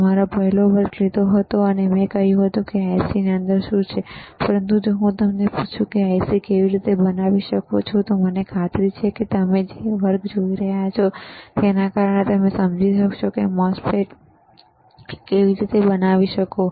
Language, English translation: Gujarati, I took your first lecture and I told you what is within the IC, but, but you if you if I ask you, how you can fabricate the IC, I am sure now because of the because of the lectures that you have been looking at, you are able to understand how MOSFET is fabricated